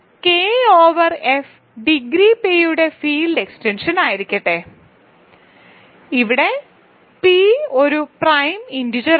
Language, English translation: Malayalam, So, the third exercise which is also very simple, so let K over F be a field extension of degree p where p is a prime integer